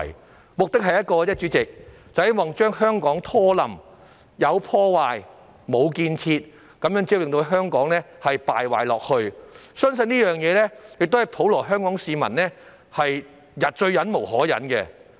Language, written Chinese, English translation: Cantonese, 他們的目的只有一個，就是要拖垮香港，有破壞、無建設，這樣只會令香港繼續敗壞，而相信這亦是普羅香港市民最忍無可忍的事。, They only have one objective and that is to drag down Hong Kong . They are destructive rather than constructive which will only lead to the continuous degeneration of Hong Kong . I believe this is what the general public of Hong Kong can least tolerate